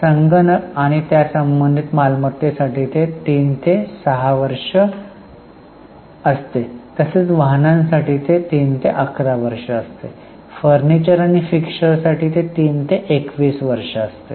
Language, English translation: Marathi, Computers and IT related assets is 3 to 6 years, vehicles 3 to 11 years, furniture fixtures 3 to 21 years